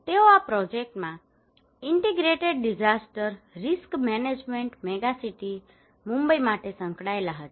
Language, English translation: Gujarati, They were involved in this project for integrated disaster risk management megacity Mumbai